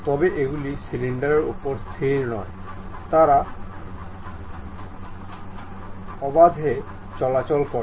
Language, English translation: Bengali, But these are not fixed on the cylinder, they are freely moving